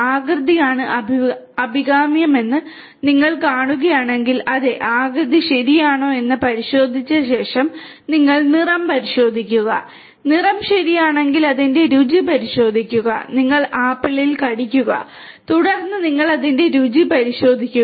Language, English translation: Malayalam, If you know, if you see that the shape is what is desirable, if yes, if you after checking that the shape is, then you check the color, if the color is ok, then you check its taste, you know you bite you have a bite on the apple and then you check how it tastes